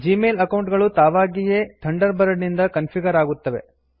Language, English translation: Kannada, Gmail accounts are automatically configured by Thunderbird